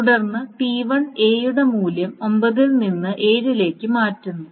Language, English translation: Malayalam, Then T1 is also changing the value of A from 9 to 7